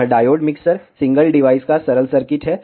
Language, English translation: Hindi, This is the simple circuit of diode mixer single device